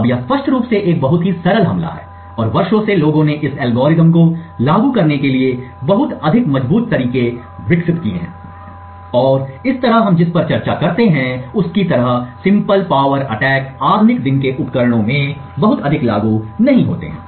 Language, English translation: Hindi, Now this is obviously a very simple attack and over the years people have developed much more stronger ways to implement exactly this algorithm and thus simple power attacks like the one we discussed are not very applicable in modern day devices